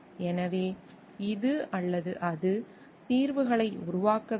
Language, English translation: Tamil, And so, this is or it needs to be developed the solutions